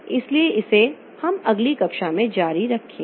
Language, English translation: Hindi, So we'll continue with this in the next class